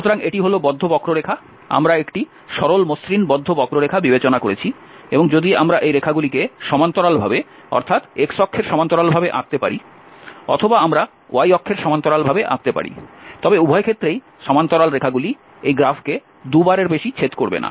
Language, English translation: Bengali, So, this is the close curve, we have considered a simple smooth close curve and if we draw these lines parallel to parallel to the x axis, or we draw the line parallel to the y axis in both ways the lines will cut not more than 2 times this graph for example, if you draw this it's cutting 2 times are we drawing this direction, again it will cut not more than 2 times